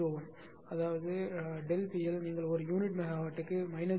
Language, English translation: Tamil, 01 per unit megawatt; that means, delta P L you take minus 0